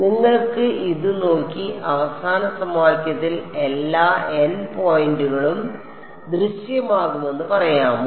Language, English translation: Malayalam, Can you look at this and say which all n points will appear in the final equation ok